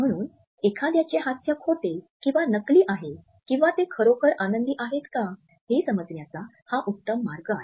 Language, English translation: Marathi, So, this is the best way to tell if someone is actually faking a smile or if they are genuinely happy